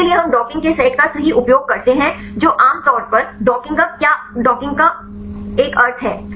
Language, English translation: Hindi, For this we use set of docking right what it is a meaning of generally docking